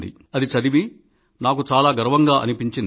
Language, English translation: Telugu, It made me feel very proud